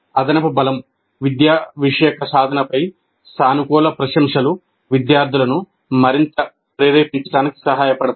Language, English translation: Telugu, And reinforcement, a positive appreciation of the academic achievement also helps the students to become more motivated